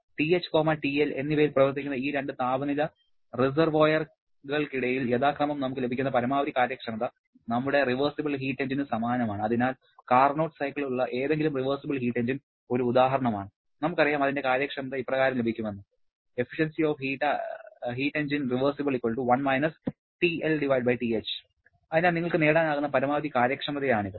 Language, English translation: Malayalam, The maximum efficiency that we can get between these two temperature reservoirs operating at TH and TL respectively is corresponding to our reversible engine and therefore for any reversible heat engine with Carnot cycle being an example, we know that the efficiency can be given as 1 TL/TH and therefore that is a maximum possible efficiency you can get